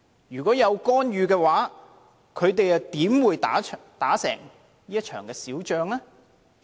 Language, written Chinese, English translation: Cantonese, 如果有干預，他們怎會打勝這場小仗呢？, Had there been interference how could they have won the small battle?